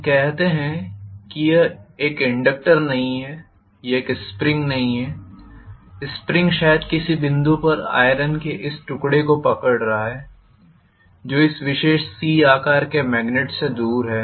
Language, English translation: Hindi, Let us say it is not an inductor it is a spring, the spring is holding probably this piece of iron at some point which is away from this particular C shaped magnet